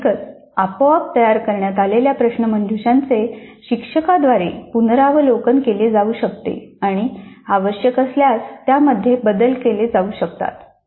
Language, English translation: Marathi, Obviously the quiz that is automatically created can be reviewed further by the instructor and if required modifications can be made